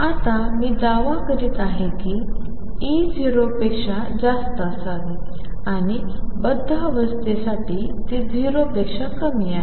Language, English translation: Marathi, Now I am claiming that E should be greater than 0 and it is less than 0 for bound state